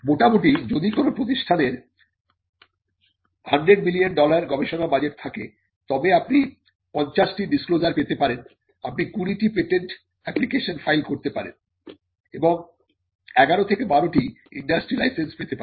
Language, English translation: Bengali, Roughly, if an institute has a 100 million dollar research budget you could get 50 disclosures, you could file 20 patent applications and you may get 11 or 12 of them licensed to the industry